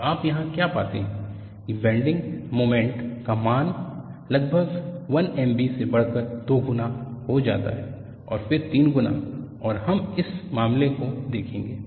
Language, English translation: Hindi, And what you find here is the value of the bending moment is progressively increased from 1M b to twice of that, and then thrice of that, and we will look at for this case